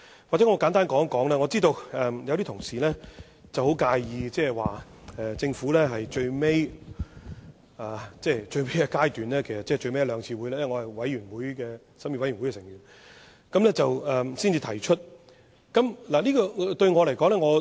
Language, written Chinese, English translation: Cantonese, 也許我簡單說一說，我知道有些同事很介意政府在最後階段，即最後一兩次會議——因為我是負責審議的法案委員會委員——才提出修正案。, Perhaps let me say a few words on it . As a member of the Bills Committee formed to scrutinize the Bill I am aware that some colleagues are unhappy with the Governments move to propose the amendment at the last two meetings during the final stage of the scrutiny